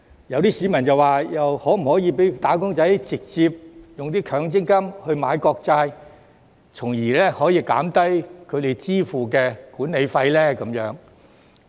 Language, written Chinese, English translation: Cantonese, 有些市民就問，可否讓"打工仔"直接用強積金買國債，從而可以減低他們支付的管理費呢？, Some members of the public have asked whether it is possible to allow wage earners to purchase sovereign bonds with their MPF directly thereby reducing the management fee payable by them